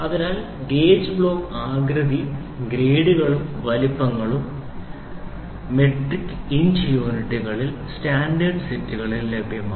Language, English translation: Malayalam, So, the gauge block shapes grades and sizes are available in a standard sets in both metric and inch units